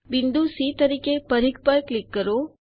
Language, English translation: Gujarati, click on the circumference as point c